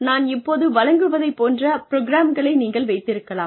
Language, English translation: Tamil, You could have programs like the one, that I am delivering now